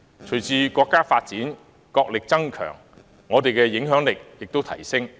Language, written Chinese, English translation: Cantonese, 隨着國家不斷發展，國力增強，我們的影響力也會提升。, As our country keeps developing our national strength keeps growing and so does our influence